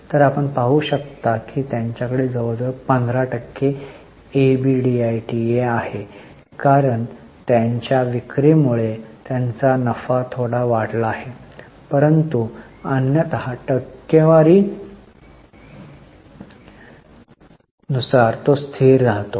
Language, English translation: Marathi, So, you can see they have a very stable EBITA around 15% because their sales have increased, their profits have increased a bit bit but otherwise as a percentage it remains constant